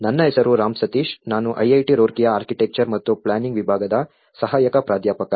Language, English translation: Kannada, My name is Ram Sateesh, I am an Assistant Professor Department of Architecture and Planning, IIT Roorkee